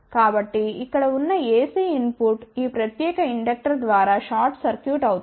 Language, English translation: Telugu, So, the ac input here will get short circuited through this particular inductor